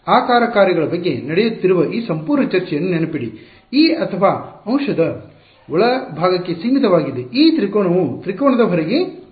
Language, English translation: Kannada, Remember everything all this entire discussion that is happening about the shape functions are limited to the interior of this or the element, this triangle not outside the triangle